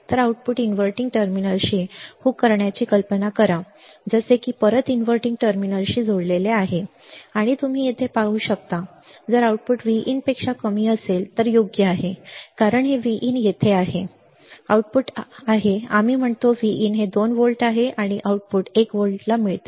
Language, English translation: Marathi, So, imagine hooking the output to the inverting terminal like this right this is connected back to the inverting terminal and you can see here, if the output is less than V in right issues positive why because this is V in is here, right, output is let us say V in is 2 volts and output gets to 1 volt